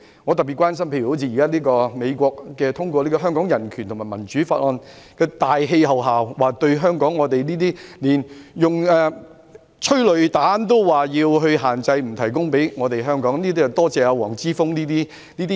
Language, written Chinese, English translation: Cantonese, 我特別關心到，在美國通過《香港人權與民主法案》的大氣候下，連香港警隊使用催淚彈也要限制，不提供彈藥給我們，這要多謝黃之鋒這種人。, I am especially concerned that in the midst of the Hong Kong Human Rights and Democracy Act passed by the United States even the use of tear gas canisters by the Hong Kong Police Force is subject to certain restrictions and no more ammunition will be provided to us thanks to Joshua WONG and the like